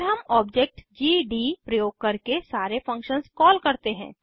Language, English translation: Hindi, Then we call all the functions using the object gd